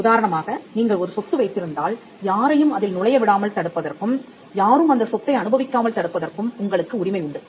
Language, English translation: Tamil, For instance, if you own a property, then you have a right to exclude people from getting into the property or enjoying that property